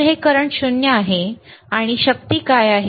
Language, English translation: Marathi, So, it is current is 0, what is the power